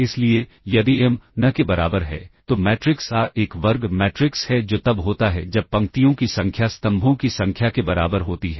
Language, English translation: Hindi, So, if m equal to n, then the matrix A is a square matrix that is when the number of rows is equal to the number of columns